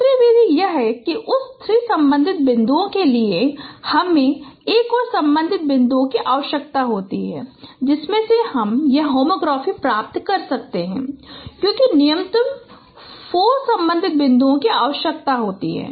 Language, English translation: Hindi, The second method is that that for that three point correspondences you require another point correspondences from from which you can get this nomography because minimum four point correspondences are required